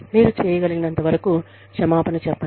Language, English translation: Telugu, Apologize to the extent, that you can